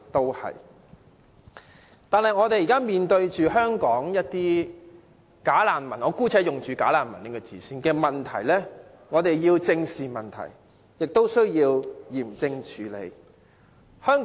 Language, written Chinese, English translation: Cantonese, 然而，現時我們面對的"假難民"問題——我姑且用"假難民"一詞——我們要正視，也要嚴正處理。, However when it comes to the problem of bogus refugee which we are now facing―let me use the term bogus refugees―we must face it squarely and take a hard line when handling the issue